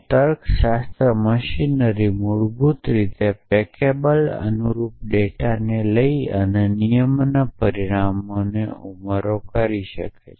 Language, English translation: Gujarati, So, logic machinery basically says packable and corresponding data and add consequent of the rule